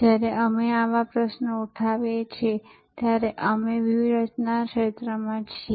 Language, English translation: Gujarati, When we raise such questions, we are in the realm of strategy